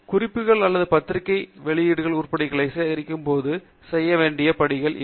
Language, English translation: Tamil, So, these are the steps that are to be performed while collecting the reference items or the journal publication items